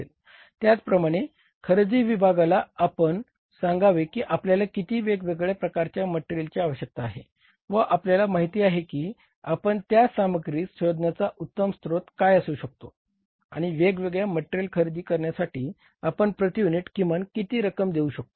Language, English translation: Marathi, Similarly the purchase department is involved that tell that we need different type of materials, you know that, that you tell that what could be the best source of buying that material and what should be the minimum per unit cost we should pay for buying that different types of the materials